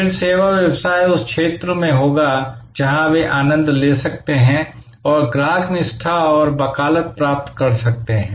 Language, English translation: Hindi, Then, the service business will be in the zone, where they can cost delight and gain customer loyalty and advocacy